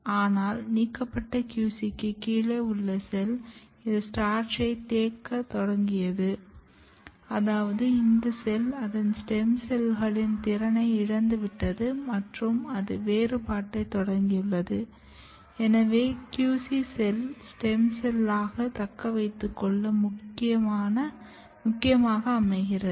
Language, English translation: Tamil, But the cell which is below the ablated QC, this has started accumulating starch which means that this cell has lost its capability of stem cells and it has started differentiation, so which tells that QC is very very important in maintaining a cell as a stem cell identity